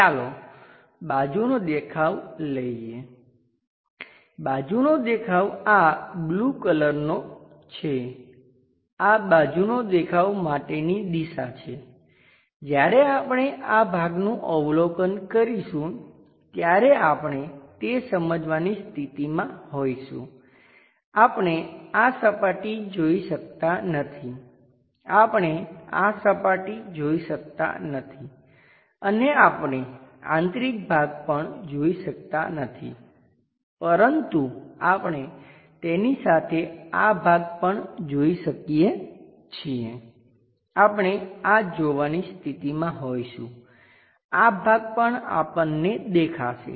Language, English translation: Gujarati, Let us pick the side view location the side view may be blue color this is the side view direction, when we are observing this portion we will be in a position to sense that, we can not see this surface, we can not see this surface and also we can not see internal part, but we can see this portion along with that also we will be in a position to see, this one also we will be in a portion to see